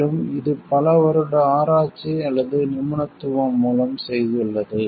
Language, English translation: Tamil, And it has like through years of research or expertise